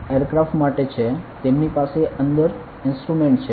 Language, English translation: Gujarati, So, this is for the aircraft they have an instrument inside it ok